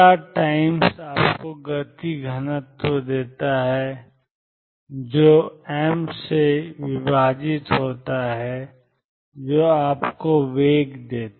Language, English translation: Hindi, Time psi starts gives you the momentum density divided by m gives you the velocity